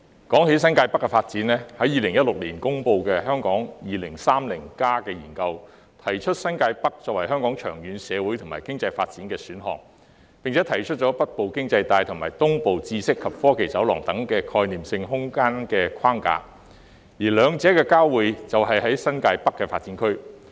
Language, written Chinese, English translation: Cantonese, 關於新界北發展 ，2016 年公布的《香港 2030+》研究提出以新界北作為香港長遠社會和經濟發展的選項，並提出北部經濟帶及東部知識及科技走廊等概念性空間框架，而兩者的交匯就在新界北發展區。, Regarding the development of New Territories North the study on Hong Kong 2030 which was published in 2016 proposed New Territories North as an option for the long - term social and economic development of Hong Kong and proposed a conceptual spatial framework such as a Northern Economic Belt and Eastern Knowledge and Technology Corridor the convergence of which is the New Territories North Development Area